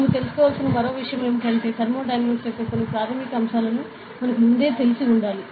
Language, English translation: Telugu, And one more thing that I think you should know is, some basics of thermodynamics that we must have know before, ok